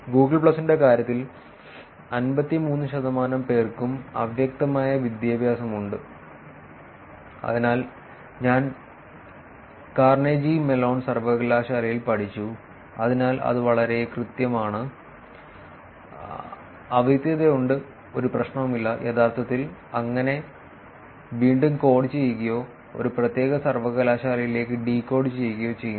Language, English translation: Malayalam, In terms of Google plus, 53 percent has an unambiguous education, so I studied that Carnegie Mellon University, so that is very very precise, there is unambiguity, there is no problem and actually recoding it or decoding it to a specific university